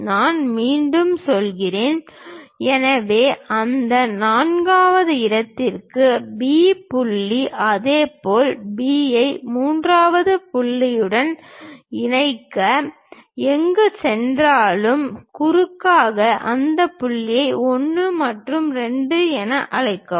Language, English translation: Tamil, I repeat, so, join B to that fourth point similarly join B to third point wherever it is going to intersect the diagonal call those points 1 and 2